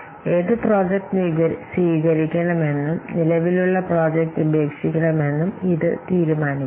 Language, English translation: Malayalam, This will decide which project to accept and which existing project to drop